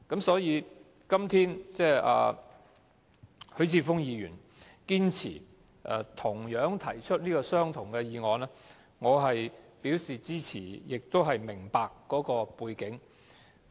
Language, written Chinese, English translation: Cantonese, 所以，今天許智峯議員堅持提出相同的議案，我表示支持，亦明白當中的背景。, I therefore support Mr HUI Chi - fungs action of moving an identical resolution today . I can understand why he chooses to do so